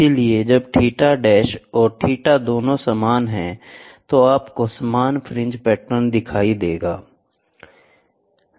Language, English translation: Hindi, So, when if both theta dash and theta are same you will see the same fringe patterns